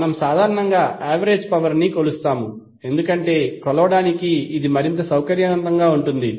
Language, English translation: Telugu, We measure in general the average power, because it is more convenient to measure